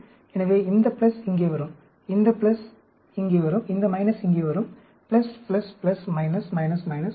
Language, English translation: Tamil, So, this plus will come here, this plus will come here, this minus will come here, plus, plus, plus, minus, minus, minus, plus